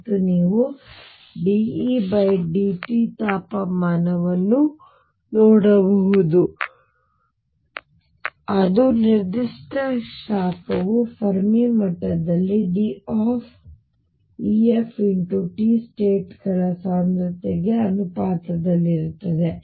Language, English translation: Kannada, And you can see then d E by d t temperature which is specific heat is going to be proportional to density of states at the Fermi level time’s t